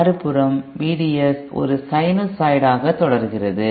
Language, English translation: Tamil, V D S on the other hand continues to be a sinusoid